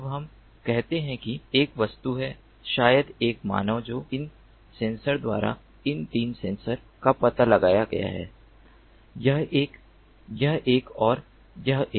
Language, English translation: Hindi, now let us say that there is an object, maybe a human, that has been detected by these sensors, these three sensors, this one, this one and this one